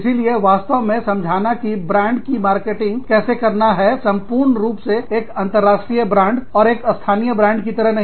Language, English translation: Hindi, So, really understanding, how to market the brand, as a whole, as an international brand, and not as a local brand